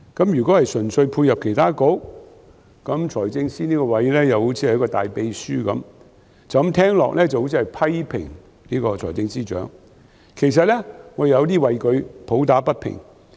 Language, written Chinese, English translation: Cantonese, 如果純粹配合其他局，財政司司長這個職位就如大秘書，聽起來好像批評財政司司長，其實我有點為他抱不平。, If the Financial Secretarys job is just to support other bureaux his position is just like a big secretary . It sounds like I am criticizing the Financial Secretary but actually I find it quite unfair to him